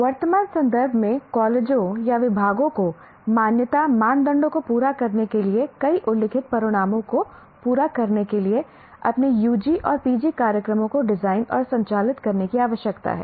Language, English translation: Hindi, We have looked at in Unit 1, in the current context, the colleges or the departments need to design and conduct their UG and PG programs to meet several stated outcomes to meet the accreditation criteria